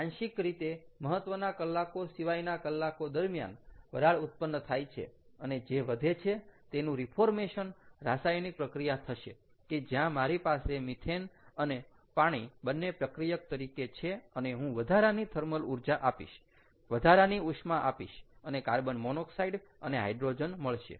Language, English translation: Gujarati, what i would do is i would use this source of thermal energy partially during off peak hours, partially to generate the steam and the rest of it, to have a reformation reaction where i will have methane and water as reactants and i would supply the additional thermal energy, additional heat and get carbon monoxide and hydrogen, all right, and during off peak hours